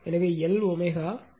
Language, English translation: Tamil, So, L omega is actually 31